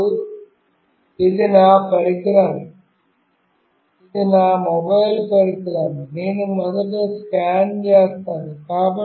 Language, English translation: Telugu, Now, this is my device, this is my mobile device, which I will be scanning first